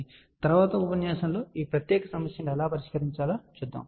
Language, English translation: Telugu, So, in the next lecture we will see how to solve this particular problem